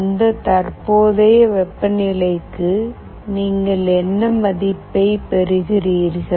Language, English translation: Tamil, For that current temperature, what value you are getting